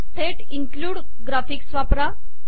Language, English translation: Marathi, Use include graphics directly